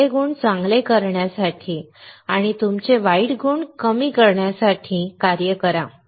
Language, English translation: Marathi, Work on to better the good qualities and to reduce your bad qualities